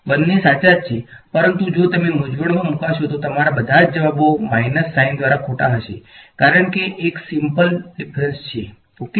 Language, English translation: Gujarati, Both are correct, but if you get confused you will all your answers will be wrong by minus sign everywhere ok, because of the simple difference ok